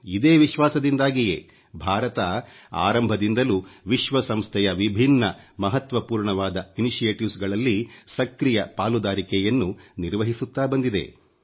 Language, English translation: Kannada, And with this belief, India has been cooperating very actively in various important initiatives taken by the UN